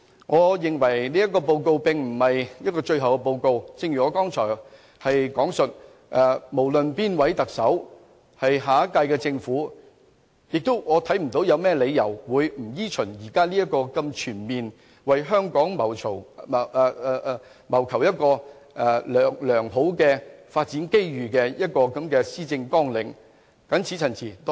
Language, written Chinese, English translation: Cantonese, 我認為這個施政報告並非最後的報告，正如我剛才所說，不論哪一位行政長官候選人成為下屆政府之首，我看不到它有甚麼理由會不依循這個如此全面、為香港謀求良好發展機遇的施政綱領發展。, I do not think this is the last Policy Address . As I said earlier no matter who will become the next Chief Executive I cannot see any reason why he or she will not follow this Policy Agenda which is comprehensive in seeking good development opportunities for Hong Kong when he or she takes forward his or her administration